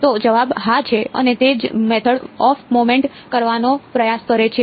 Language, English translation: Gujarati, So, the answer is yes and that is what the method of moments tries to do